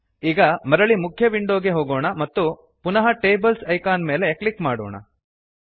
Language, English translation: Kannada, Now, let us go back to the main window and click on the Tables Icon again